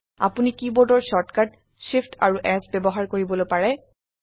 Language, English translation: Assamese, You can also use the keyboard shortcut Shift S